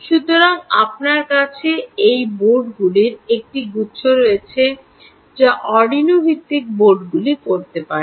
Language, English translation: Bengali, so you have a bunch of these boards which can, or arduino based boards, for instance